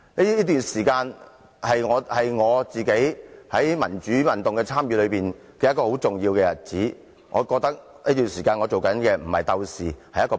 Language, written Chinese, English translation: Cantonese, 這段時間是我參與民主運動的重要時期，我認為我在這段時間是僕人而非鬥士。, That is the golden period of my participation in democratic movement . I regarded myself a servant rather than a fighter at that time